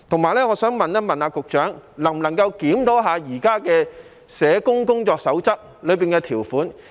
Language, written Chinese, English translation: Cantonese, 我亦想問局長，能否檢討現有《社會工作者工作守則》的條款？, I would also like to ask the Secretary whether the provisions in the existing Code of Practice for Registered Social Workers will be reviewed